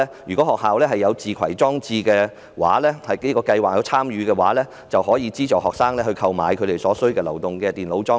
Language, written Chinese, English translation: Cantonese, 如果學校有參與自攜裝置電子學習計劃，就可以資助學生購買所需的流動電腦裝置。, If schools participate in the Bring Your Own Device e - learning programme they can subsidize students to purchase mobile computer devices